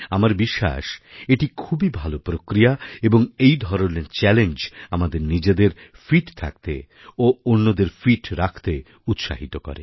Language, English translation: Bengali, I believe this is gainful and this kind of a challenge will inspire us to be fit alongwith others, as well